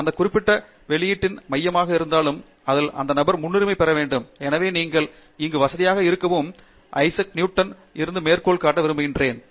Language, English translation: Tamil, Was the core of that particular publication and therefore, that person should get priority and so that something that you should become comfortable with and just to share a quote here it is from Issac Newton